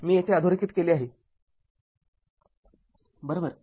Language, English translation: Marathi, I have underlined here for you underlined here right